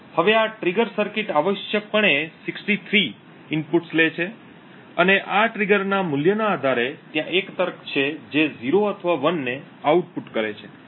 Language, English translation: Gujarati, Now this trigger circuit essentially takes 63 inputs and based on the value of this trigger there is a logic which outputs either 0 or 1